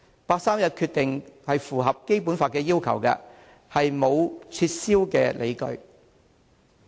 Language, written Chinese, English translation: Cantonese, 八三一決定符合《基本法》的要求，並沒有撤銷的理由。, There is no reason to rescind the 31 August Decision which complies with the Basic Laws requirements